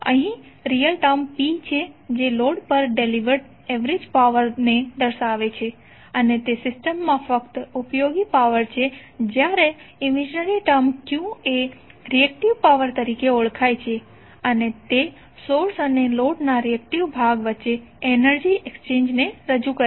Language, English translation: Gujarati, So here the real term is P which represents the average power delivered to the load and is only the useful power in the system while the imaginary term Q is known as reactive power and represents the energy exchange between source and the reactive part of the load